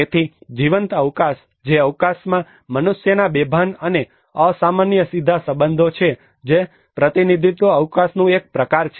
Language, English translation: Gujarati, So the lived space which is an unconscious and nonverbal direct relations of humans to space which is also a form of representational space